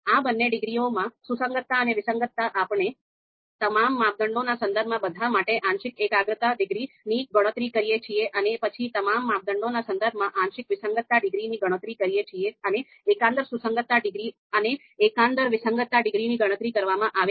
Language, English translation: Gujarati, You know in both these degree concordance and discordance, we compute the partial concordance degrees for all the with respect to all the criteria and then partial discordance degrees with respect to all the criteria and the global concordance degree and global discordance degrees are computed